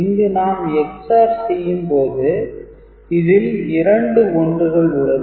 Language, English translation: Tamil, Now when we do the Ex ORing and accumulate we see that two 1s are there